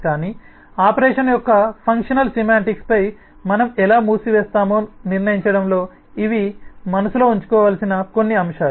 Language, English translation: Telugu, but these are some of the factors that we will need to keep in mind in deciding how we close on the functional semantics of an operation